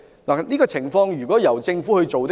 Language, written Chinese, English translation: Cantonese, 在這情況下，應由政府牽頭推行。, Under this circumstance the Government should take the lead to implement the arrangement